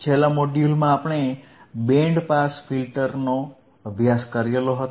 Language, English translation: Gujarati, And iIn the last module, what we have seen we haved seen the Band Pass Filters right